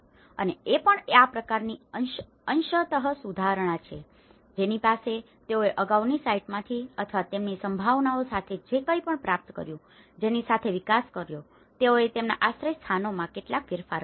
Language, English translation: Gujarati, And also, this is a kind of partial upgrade with reclaimed materials they have the developed with the kind of whatever, they have able to procure from the past site or with their feasibilities, they have made some modifications to their shelters